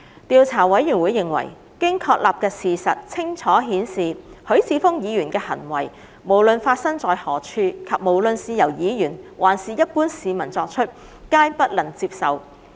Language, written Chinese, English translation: Cantonese, 調查委員會認為，經確立的事實清楚顯示，許智峯議員的行為無論發生在何處，且無論是由議員還是一般市民作出，皆不能接受。, The Investigation Committee considers that the facts established have clearly shown that the acts of Mr HUI Chi - fung are unacceptable wherever they take place and whether they are committed by a Member or an ordinary citizen